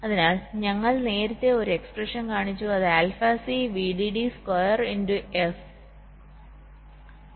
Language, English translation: Malayalam, so we showed an expression earlier which looked like alpha c, v dd square into f, frequency of clock